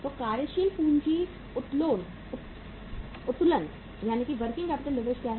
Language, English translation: Hindi, So what is the working capital leverage